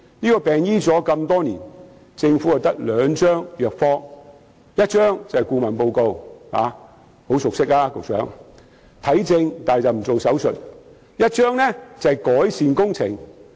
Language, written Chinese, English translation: Cantonese, 這個病已醫了那麼多年，政府只有兩張藥方：一張是顧問報告——局長對此很熟悉——猶如看症卻不做手術，而另一張是改善工程。, Although this illness has been treated for years the Government has only got two prescriptions . One is consultancy reports―the Secretary is well versed in the compilation of such reports which is akin to giving consultations but refusing to perform surgeries―while the other one is improvement works